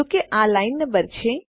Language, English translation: Gujarati, This is the line no